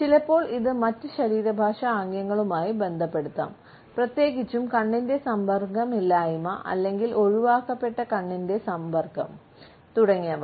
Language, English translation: Malayalam, Sometimes, it can be associated with other body linguistic gestures, particularly the absence of eye contact or averted eyes, etcetera